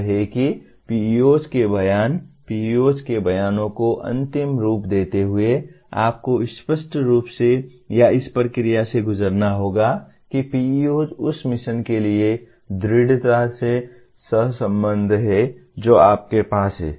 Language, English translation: Hindi, That is how the PEO statements, finalizing the PEO statements you have to go through this process of clearly or rather making sure that PEOs are strongly correlated to the mission that you have